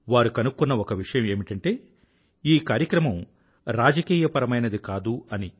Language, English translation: Telugu, One of their findings was that, this programme has remained apolitical